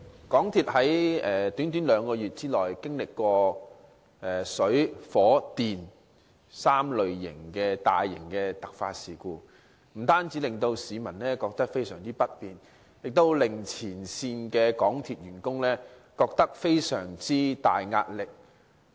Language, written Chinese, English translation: Cantonese, 港鐵在短短兩個月內經歷過關乎水、火、電3類大型突發事故，不單對市民造成大大不便，亦對港鐵前線員工構成極大壓力。, MTRCL has within a short span of two months experienced three major types of emergencies associated with water fire and electricity . Great inconvenience was caused to the public while frontline MTR staff were under tremendous pressure